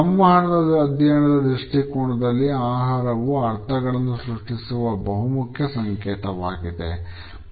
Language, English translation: Kannada, From the perspective of communication studies, food continues to be an important symbol in the creation of meaning